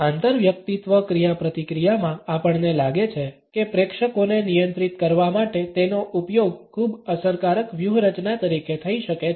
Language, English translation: Gujarati, In interpersonal interaction we find that it can be used as a very effective strategy for controlling the audience